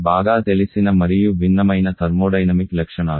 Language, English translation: Telugu, Quite well known and quite different thermodynamic properties